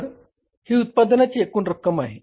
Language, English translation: Marathi, So what is the total cost of production now